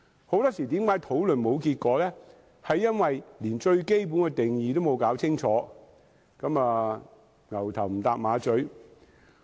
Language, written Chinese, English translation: Cantonese, 很多時候，討論沒有結果，是因為連最基本的定義也沒有弄清楚，大家"牛頭唔搭馬嘴"。, Very often we cannot come up with a conclusion in the debate because we have not straightened up its fundamental definition as if we are not speaking the same language at all